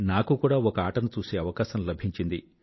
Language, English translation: Telugu, I also got an opportunity to go and watch a match